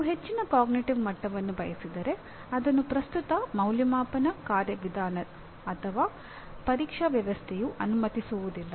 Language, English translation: Kannada, If you want higher cognitive levels, the present assessment mechanism or the present examination system does not allow